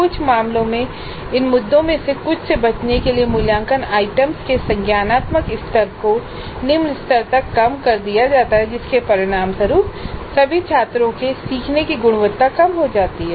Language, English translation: Hindi, And in some cases the cognitive levels of assessment items are reduced to lower levels to avoid some of these issues resulting in reducing the quality of learning of all students